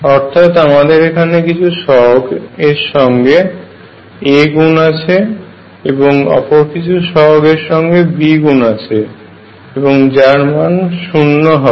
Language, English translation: Bengali, I have some coefficients times a plus some other coefficient times B is equal to 0; that is my equation 1